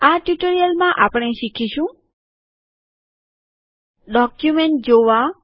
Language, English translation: Gujarati, In this tutorial we will learn the following: Viewing Documents